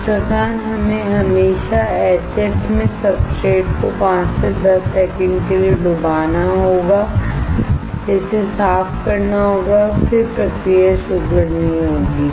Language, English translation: Hindi, Thus, we have to always dip the substrate in HF for 5 to 10 seconds, clean it and then start the process